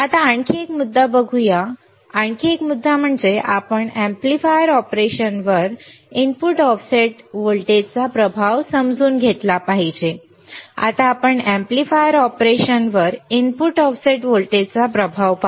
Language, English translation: Marathi, Now, let us see another point another point that is we have to understand the effect of input offset voltage on the amplifier operation, we will see now effect of input offset voltage on the amplifier operation